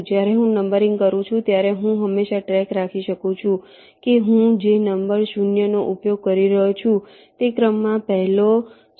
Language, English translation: Gujarati, when i am doing the numbering, i can always keep track of whether the number zero that i am using is the first zero or or the second zero in the sequence